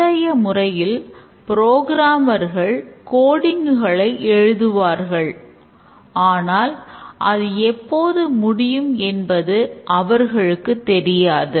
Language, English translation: Tamil, Earlier the programmer just wrote the code and then never know when it will get completed